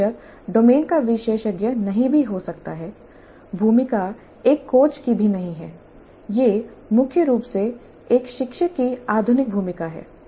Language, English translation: Hindi, So the tutor may not be even an expert in the domain, the role is not even that of a coach, it is primarily the role of more of a tutor